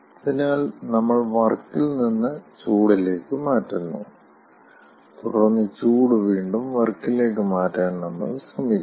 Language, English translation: Malayalam, so we are converting, lets say, from work to heat, and then we are trying again the conversion of heat to work